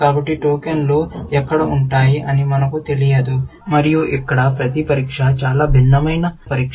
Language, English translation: Telugu, So, we do not know where the tokens will sit, and here, every test is a very variable kind of a test